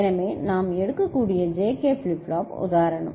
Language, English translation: Tamil, So, the JK flip flop example we can take